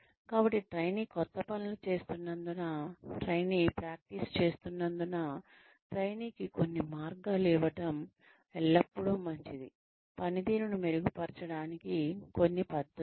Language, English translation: Telugu, So, as the trainee is practicing, as the trainee is doing new things, it is always a good idea, to give the trainee, some ways, some method to improve upon the performance